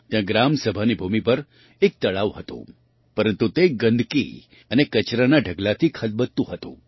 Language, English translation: Gujarati, There was a pond on the land of the Gram Sabha, but it was full of filth and heaps of garbage